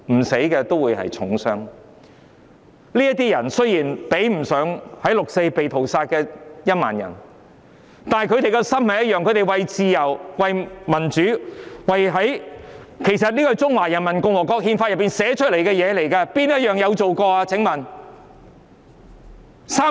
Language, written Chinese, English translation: Cantonese, 雖然他們受的傷比不上在"六四"被屠殺的1萬人，但他們的心態一樣，為了自由和民主——其實這是中華人民共和國憲法訂明的條文，請問有做過哪一項？, Although the injuries they suffered cannot be compared to the massacre of the 10 000 people in the 4 June incident they share the same aspiration for freedom and democracy―which are stipulated in the provisions of the Constitution of the Peoples Republic of China . Have any of these provisions been taken effect?